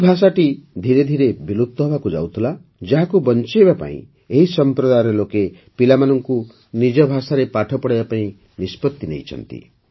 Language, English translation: Odia, This language was gradually becoming extinct; to save it, this community has decided to educate children in their own language